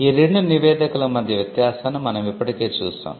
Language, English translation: Telugu, We had already brought out the distinction between these 2 reports